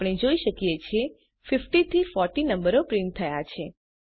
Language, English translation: Gujarati, As we can see, the numbers from 50 to 40 are printed